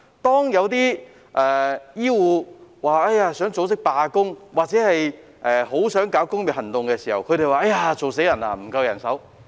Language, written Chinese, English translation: Cantonese, 當有醫護人員想組織罷工或發起工業行動時，他們又說"做死人"，指責人手不夠。, When some healthcare workers wanted to organize a strike or initiate industrial action they said they were drowning in work and lashed out at the shortage of manpower